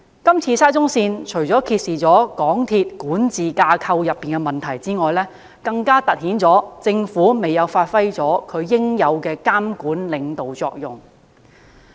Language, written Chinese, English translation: Cantonese, 是次沙中線事件，除揭示港鐵公司管治架構的問題外，更凸顯政府未有發揮其應有的監管和領導作用。, The SCL incident has not only revealed the faulty governance structure of MTRCL but also highlighted the Governments failure to perform its monitoring function and leadership properly